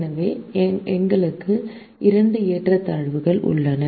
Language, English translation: Tamil, so we have two inequalities